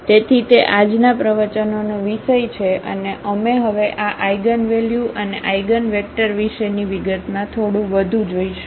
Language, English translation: Gujarati, So, that is the topic of today’s lecture and we will go little more into the detail now about these eigenvalues and eigenvectors